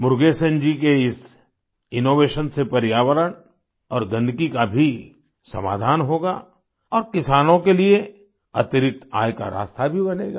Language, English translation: Hindi, This innovation of Murugesan ji will solve the issues of environment and filth too, and will also pave the way for additional income for the farmers